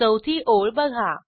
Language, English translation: Marathi, Notice the fourth line